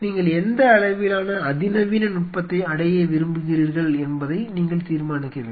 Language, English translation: Tamil, You have to decide what level of sophistication you wish to achieve, what does that mean